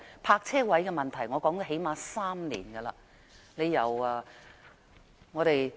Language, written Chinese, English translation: Cantonese, 泊車位的問題我最少說了3年。, I have been talking about the problem of parking spaces for at least three years